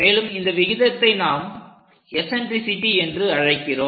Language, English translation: Tamil, And that ratio what we call in geometry as eccentricity